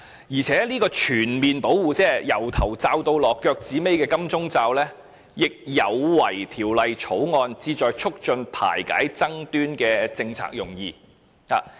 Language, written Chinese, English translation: Cantonese, 而且，這種全面保護，即從頭罩到腳的"金鐘罩"，亦有違《條例草案》旨在促進排解爭端的政策用意。, Additionally this kind of total protection the protective shield actually runs counter the policy intent of the Bill which aims at facilitating the settlement of disputes